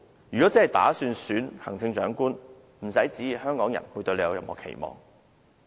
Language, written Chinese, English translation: Cantonese, 如果她真的打算參選行政長官，不要旨意香港人對她有期望。, If she really intends to run for the post of Chief Executive she should not think Hong Kong people will have any expectations for her